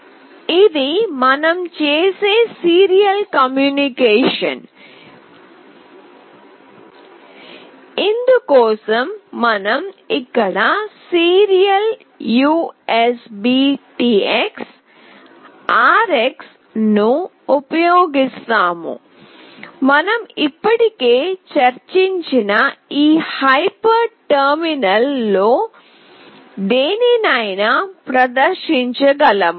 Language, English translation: Telugu, We use here serial USBTX RX, this is for serial communication that we do such that we can display it in the any of the hyper terminal, which we have already discussed